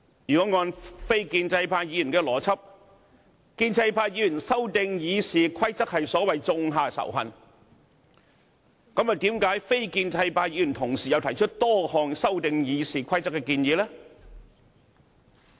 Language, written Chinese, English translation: Cantonese, 如果按非建制派議員的邏輯，建制派議員修訂《議事規則》是所謂種下仇恨，那麼非建制派議員為何同時又提出多項修訂《議事規則》的建議呢？, If the logic of non - establishment Members can be established and Members of the pro - establishment camp are really creating hatred by seeking to amend the Rules of Procedure how come non - establishment Members are proposing a number of amendments to the Rules of Procedure at the same time?